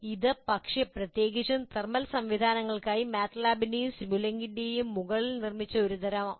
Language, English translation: Malayalam, So it's a kind of built on top of MATLAB and simulink, but specifically for thermal systems